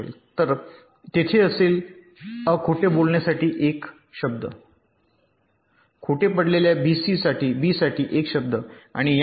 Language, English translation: Marathi, so there will be one word for lying a, one word for lying b, and so on